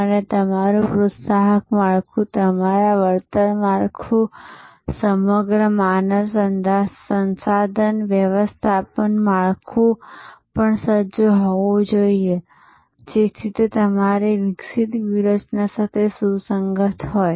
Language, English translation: Gujarati, And your incentive structure, your compensation structure, the entire human resource management structure also must be geared up, so that they are in tune with your evolving strategy